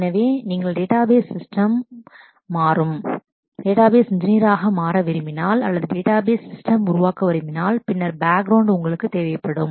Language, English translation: Tamil, So, if you want to become a database engineer who changes the database system itself or develops the database system itself, then this is the kind of background you will need